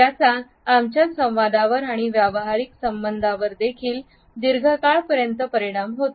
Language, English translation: Marathi, It also affects our communication and professional relationships too in the long run